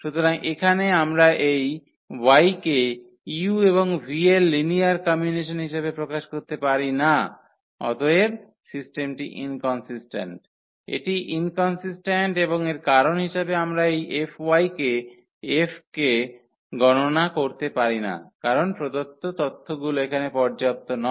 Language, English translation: Bengali, So, here we cannot express this y as a linear combination or this u and v and therefore, the system is inconsistence, it is inconsistent and this as a reason that we cannot we cannot compute this F of F of y because the information given is not sufficient here